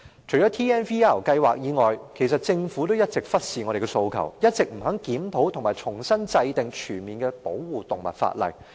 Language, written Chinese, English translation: Cantonese, 除了 TNVR 計劃外，政府也一直忽視我們的訴求，不肯檢討和重新制定全面的保護動物法例。, Leaving aside the TNVR scheme the Government has always ignored our demands and refused to conduct a review and formulate afresh a comprehensive piece of legislation on animal protection